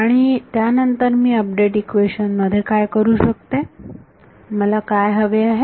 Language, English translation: Marathi, And then what I can do is, in an update equation, what do I want